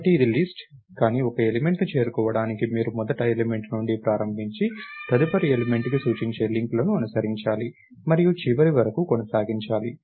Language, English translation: Telugu, So, its a list, but to reach one element, you have to go you have to start from the first element, follow the links that point to the next element and so, on and keep going until the end